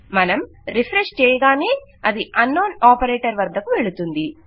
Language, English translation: Telugu, As soon as we refresh its going to unknown operator